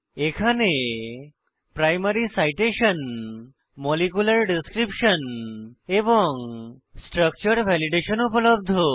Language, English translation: Bengali, Information like * Primary Citation * Molecular Description and * Structure Validationare available on this page